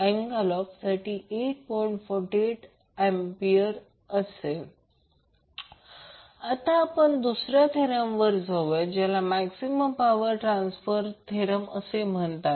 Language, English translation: Marathi, Now, let us come to the, another theorem called Maximum power transfer theorem